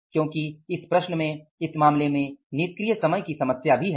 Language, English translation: Hindi, Here is the problem of the idle time